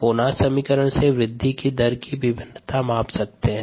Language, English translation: Hindi, the monad equation give us the variation of growth rate